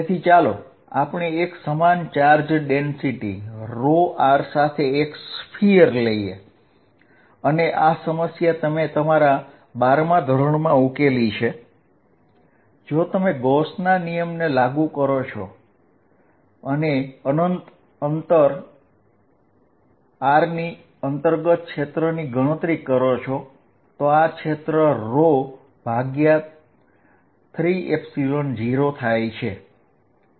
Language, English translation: Gujarati, So, let us take a sphere with uniform charge density rho r and this problem you have solved in your 12th grade, if you apply Gauss’s law and calculate the field inside at a distance r this field comes out to be rho r by 3 Epsilon naught